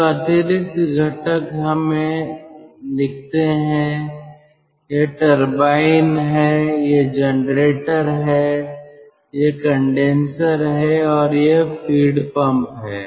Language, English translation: Hindi, so the additional components, let us write: this is turbine, this is generator, this is condenser and this is feed pump